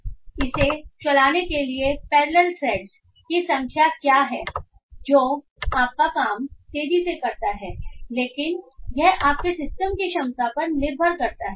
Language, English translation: Hindi, So this is a programming convenience that what are the number of parallel threads to run this makes your job faster but it depends on the ability of your system